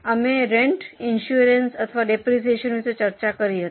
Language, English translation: Gujarati, We have talked about rent or insurance or depreciation